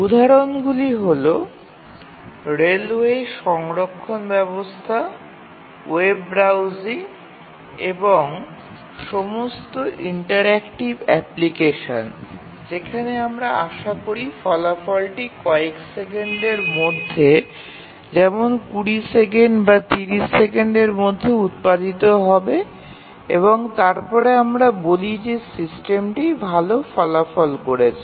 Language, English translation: Bengali, web browsing and in fact, all interactive applications where we expect the result to be produced within few seconds 20 seconds, 30 second and then we say that the system is performing well